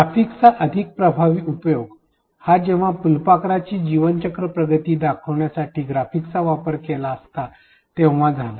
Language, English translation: Marathi, A more effective usage of graphics would have been to use the graphics to indicate the life cycle progression of the butterfly within the image itself